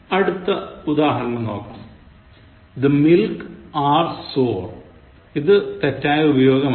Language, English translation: Malayalam, Look at the next example: The milk are sour, wrong usage